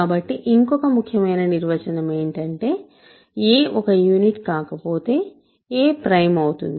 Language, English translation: Telugu, So, the other important definition is a is prime